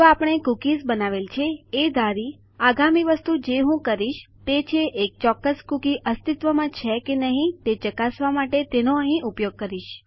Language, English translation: Gujarati, So assuming that we have created these cookies, the next thing Ill do is use this specific cookie here that I have created, to check whether it does exist or not